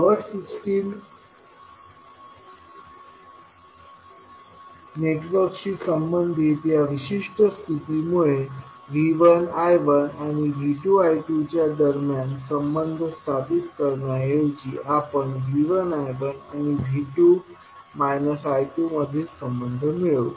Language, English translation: Marathi, So because of this specific condition related to power system network rather than is stabilising the relationship between V 1 I 1 and V 2 I 2 stabilizes the relationship between V 1 I 1 and V 2 and minus of I 2